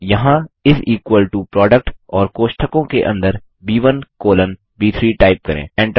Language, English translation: Hindi, Here type is equal to PRODUCT, and within the braces, B1 colon B3